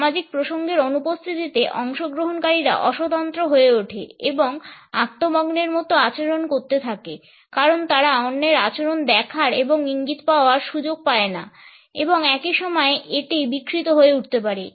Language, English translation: Bengali, In the absence of this social context, participants are de individualized and they tend to behave in ways which are rather self obsessed because they do not have the opportunity to look at the behaviour of others and receiving the cues and at the same time it can be aberrant